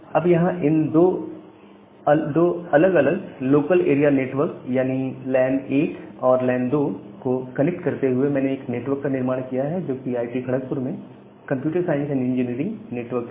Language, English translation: Hindi, Now, here by connecting to different local area network or lan 1 and lan 2 I have constructed one network which is the computer science and engineering network at IIT, Kharagpur